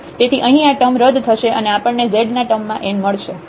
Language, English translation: Gujarati, So, here these terms cancel out and then we get simply n into z term